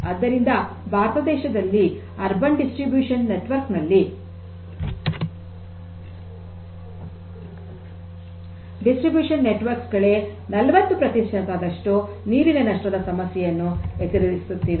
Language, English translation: Kannada, So, in India the urban distribution network, distribution networks only faces losses of the order of say 40 percent